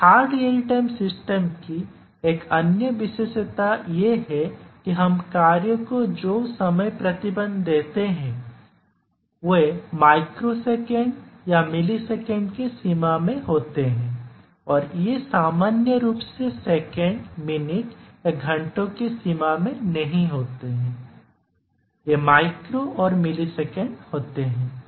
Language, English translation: Hindi, And the another characteristic of a hard real time systems is that the time restrictions that we give to the task are in the range of microseconds or milliseconds, these are not normally in the range of seconds or hours, minutes these are micro and milliseconds